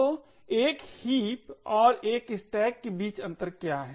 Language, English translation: Hindi, So, what is the difference between a heap and a stack